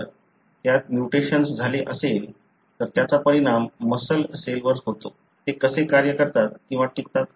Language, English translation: Marathi, If it has got a mutation, then it affects the muscle cells; how do they function or survive